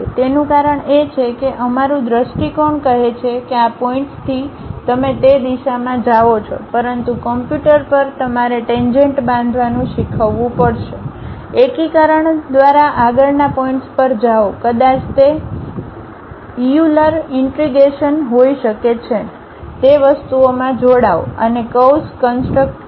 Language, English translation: Gujarati, That is because our our visual says that from this point you go in that direction, but to the computer you have to teach construct a tangent, go to next point by integration maybe it might be a Euler integration, go join those things and construct a curve